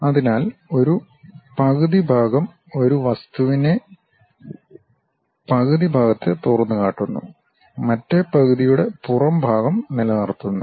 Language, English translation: Malayalam, So, a half section exposes the interior of one half of an object while retaining the exterior of the other half